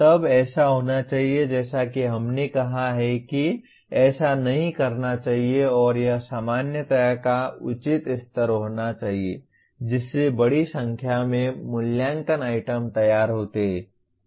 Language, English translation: Hindi, Then it should be as we stated as the do’s and don’ts it should be proper level of generality which leads to designing a large number of assessment items